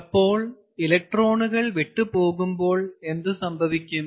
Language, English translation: Malayalam, so when the electrons leave, what happens